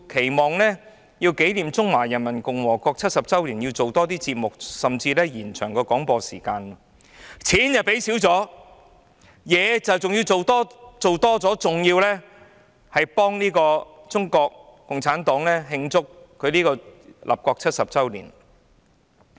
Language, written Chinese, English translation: Cantonese, 原來她要紀念中華人民共和國成立70周年，期望港台製作多些節目，甚至延長廣播時間，經費減少了，工作卻要增加，還要為中國共產黨慶祝立國70周年。, She wants to commemorate the 70 anniversary of the founding of the Peoples Republic of China and expects RTHK to produce more programmes and even extend the broadcasting hours . Its funding is reduced but more work has to be done and worse still productions have to be made to commemorate the 70 anniversary of the founding of the Peoples Republic of China for the Communist Party of China